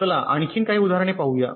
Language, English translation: Marathi, ok, lets look at some more examples